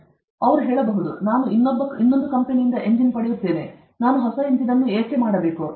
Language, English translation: Kannada, Then, they say, I can get the engine from some other company; why should I make a new engine